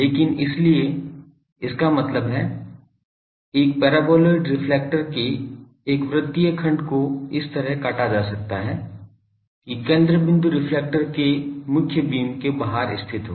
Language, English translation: Hindi, But so, that means, a circular section of a paraboloidal reflector may be cut out such that the focal point lies outside the main beam of the reflector